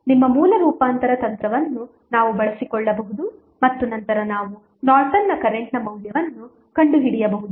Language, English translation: Kannada, We can utilize our source transformation technique and then we can find out the values of Norton's current